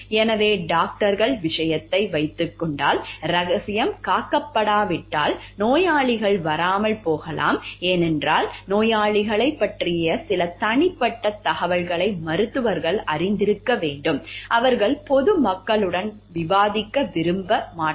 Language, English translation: Tamil, So, if suppose in case of doctors; like if by confidentiality is not maintained, then maybe the patients are not going to come, because it requires, doctors knowing some private information about the patients which they may not want to discuss with the public at large